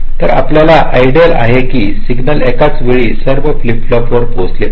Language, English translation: Marathi, so what you want ideally is that the signal should reach all flip flops all most at the same time